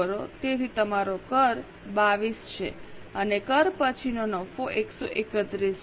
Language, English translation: Gujarati, So your tax is 22 and profit after tax is 131